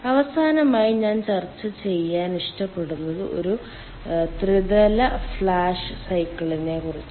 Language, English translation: Malayalam, lastly, what i like to discuss is a ah trilateral flash cycle